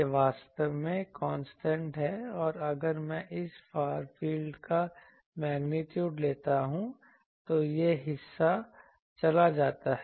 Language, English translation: Hindi, This is actually constant and this part if I take the magnitude of this field, this part goes